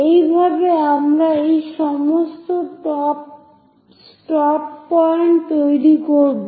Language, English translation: Bengali, So, in that way, we will construct all these stop points